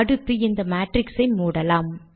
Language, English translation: Tamil, And then, lets close this matrix